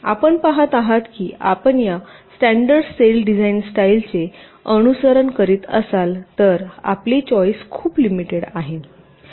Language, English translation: Marathi, you see, if you are following this standard cell design style, then your choice is very limited